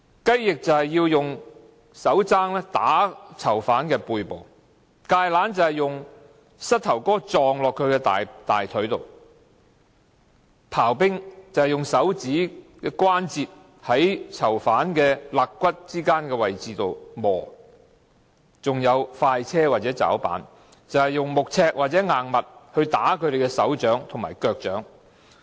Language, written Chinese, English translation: Cantonese, "雞翼"就是以手踭打囚犯背部；"芥蘭"是以膝蓋撞擊囚犯大腿；"刨冰"就是以手指關節在囚犯肋骨之間的位置摩擦；還有"快車"或"抓板"，就是以木尺或硬物打他們的手掌和腳掌。, Kale means kneeing the offenders in their thigh . Chip ice means grinding with ones finger joints between the ribs of offenders . There are also express and grabbing board which mean using wooden ruler or hard object to hit their palms and soles